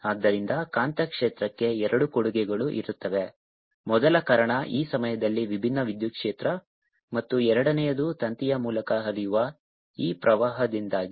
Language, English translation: Kannada, so there will be two contribution to magnetic field, first due to this time varying electric field and the second due to this current which is flowing through the wire